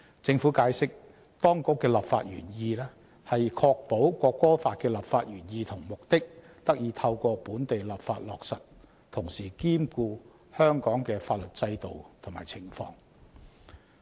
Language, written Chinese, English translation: Cantonese, 政府解釋，當局的立法原則是確保《國歌法》的立法原意和目的得以透過本地立法落實，同時兼顧香港的法律制度及情況。, The Government explained that the legislative principle was to ensure that the legislative intent and objectives of the National Anthem Law would be implemented through the local legislation whilst taking into account the legal system and the circumstances of Hong Kong